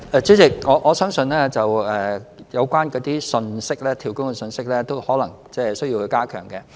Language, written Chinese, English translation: Cantonese, 主席，我相信有關"跳工"的信息，可能需要加強。, President I believe that messages about job - hopping may need to be reinforced